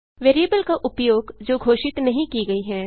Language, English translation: Hindi, Use of variable that has not been declared